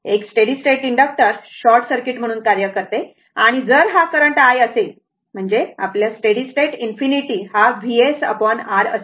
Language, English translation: Marathi, A steady state inductor acts as a short circuit and if this is the current i that means, our steady state I infinity will be V s upon R, right